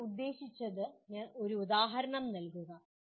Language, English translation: Malayalam, Provide an example of what you mean …